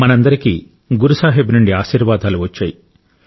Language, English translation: Telugu, All of us were bestowed with ample blessings of Guru Sahib